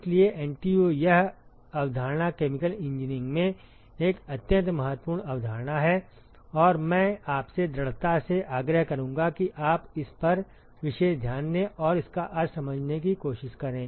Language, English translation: Hindi, So, NTU this concept is an extremely important concept in chemical engineering and I would strongly urge you to pay special attention to this and try to understand what this means